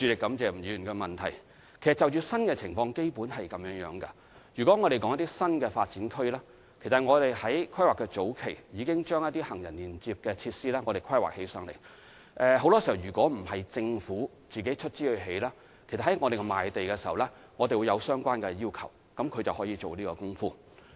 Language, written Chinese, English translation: Cantonese, 對於新的情況，基本上我們的處理方法是，如果是新發展區，其實在規劃的初期，我們已經對行人連接設施作出規劃，而很多時候，如果不是政府出資興建，政府在賣地時亦會作出相關的要求，業權人因而可以進行這些工程。, With regard to the new situations basically they are handled in the following ways In the case of a New Development Area NDA actually at the initial planning stage we would already make plans on the pedestrian links and it is often the case that if these facilities are not developed at the cost of the Government the Government would set out this requirement in land sale and so the owners would be able to carry out such works